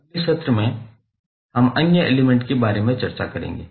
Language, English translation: Hindi, In next session, we will discuss more about the other elements